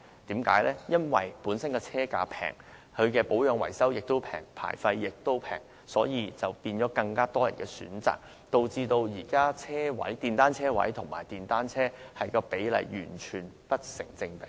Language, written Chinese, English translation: Cantonese, 電單車車價低，保養維修費用和牌費亦低，因而成為更多市民的選擇，令現時電單車車位和電單車的數目完全不成比例。, More people prefer motorcycles because of the relatively affordable prices maintenance cost and licence fees . This results in a disproportionate number of motorcycles and parking spaces